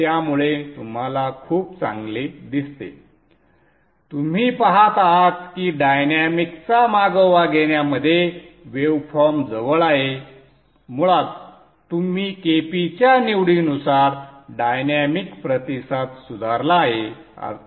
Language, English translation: Marathi, So you see it's much better you see that the waveform is more closer in tracking the dynamics are better basically because you have you you have improved the dynamic response by the choice of KP